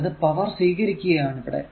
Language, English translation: Malayalam, So, it is absorbed power